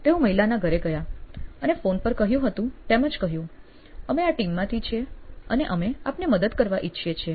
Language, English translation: Gujarati, So, they went to this lady’s home and said the same thing they said over phone saying that we are from this team and we would like to help you